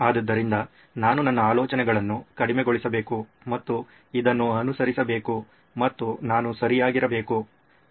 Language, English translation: Kannada, So, should I tone down my thinking and just follow this and I should be okay